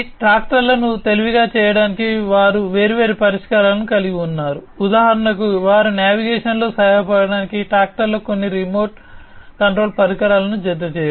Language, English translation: Telugu, They also have different solutions for making the tractors smarter, for example, you know having some kind of remote control equipment attached to the tractors for aiding in their navigation